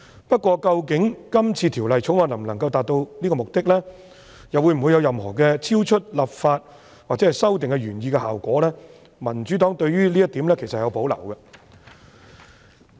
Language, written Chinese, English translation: Cantonese, 不過，究竟《條例草案》能否達致這個目的，又或會否產生任何超出立法或修訂原來希望達致的效果，民主黨對於這一點其實有保留。, However the Democratic Party has reservations as to whether the Bill can actually achieve this purpose or whether it will produce any effect beyond the original intent of the legislative or amendment exercise